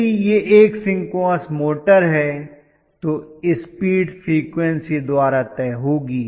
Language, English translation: Hindi, If it is working as a motor, if it is a synchronous motor, the speed is decided by the frequency